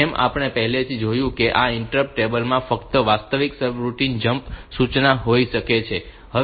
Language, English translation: Gujarati, As we have already said that this interpreter table it may have a jump instruction only for the actual service routine